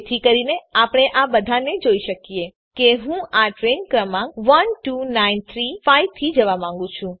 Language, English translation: Gujarati, So that we can see all of them, Suppose i want to go by this train number12935